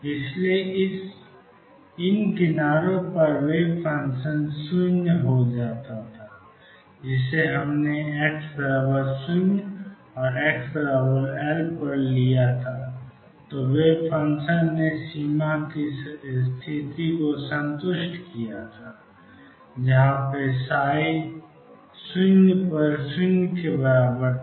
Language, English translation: Hindi, So, the wave function was taken to be 0 at these edges, when we took this to be x equals 0 and x equals L the wave function satisfied the boundary condition; that psi at 0 0 and psi at L was 0